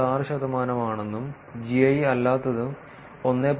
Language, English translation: Malayalam, 6 percent, and non GI is 1